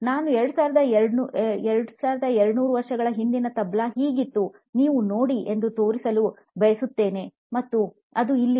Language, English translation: Kannada, I would like you to look at what a “Tabla” looks like 2200 years ago and here it is